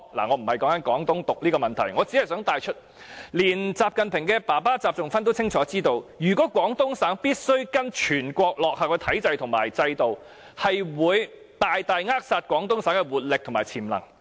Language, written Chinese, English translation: Cantonese, "我無意討論"廣東獨"的問題，我只是想帶出，連習近平的父親習仲勳也清楚知道，如果廣東省必須跟隨全國落後的體制和制度，會大大扼殺廣東省的活力和潛能。, I do not intend to discuss Guangdong independence . I merely wish to bring up one point the point that even XI Zhongxun XI Jingpings father was well aware that if the Guangdong Province must follow the countrys backward institutions and systems the vibrancy and potential of the Guangdong Province would be greatly stifled